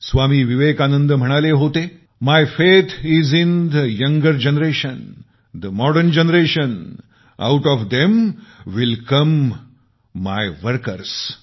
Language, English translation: Marathi, Swami Vivekanand ji had observed, "My faith is in the younger generation, the modern generation; out of them will come my workers"